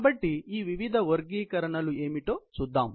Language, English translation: Telugu, So, let us look at what these various classifications are